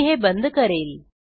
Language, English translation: Marathi, I will close this